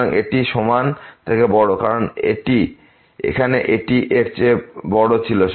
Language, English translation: Bengali, So, this is greater than equal to because here it was greater than